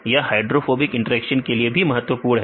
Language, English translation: Hindi, This is also important for the hydrophobic interactions